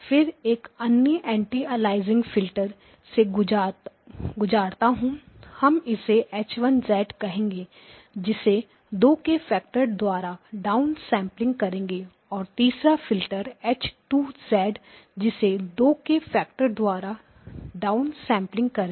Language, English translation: Hindi, Then pass through another anti aliasing filter; we will call it H1 of z down sample by a factor of 2 and a 3rd filter H2 of z down sample by a factor of 2, okay